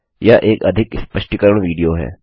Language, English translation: Hindi, This is more of an explanation to video